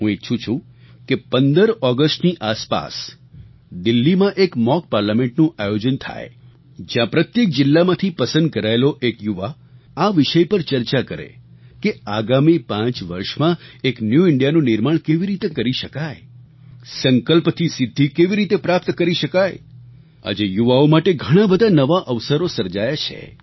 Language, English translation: Gujarati, I propose that a mock Parliament be organized around the 15th August in Delhi comprising one young representatives selected from every district of India who would participate and deliberate on how a new India could be formed in the next five years